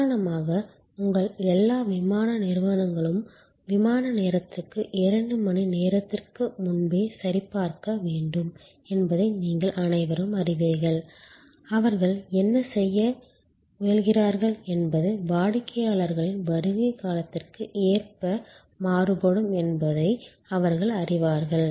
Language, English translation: Tamil, For example, as you all of you know that all airlines one due to check in two hours before the flight time, what they are trying to do is they know that the arrival of customer's will be varying with time